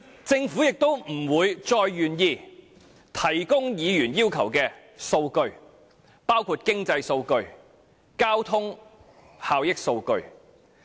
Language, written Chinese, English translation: Cantonese, 政府亦不會再願意提供議員要求的數據，包括經濟數據和交通效益數據。, Among them the most important one is the legal issue . Neither will the Government be willing to provide the figures requested by Members including economic data and data on transport benefits